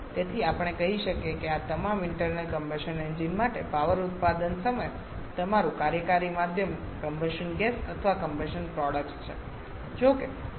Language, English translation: Gujarati, So, we can say that for all these internal combustion engine your working medium at the time of power production is the combustion gases or combustion products